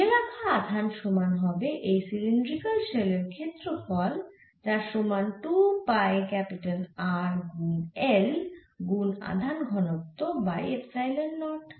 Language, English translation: Bengali, so we can see, enclose would be equal to the surface area of a cylindrical shell which is given by two pi capital r into l into charge density upon epsilon naught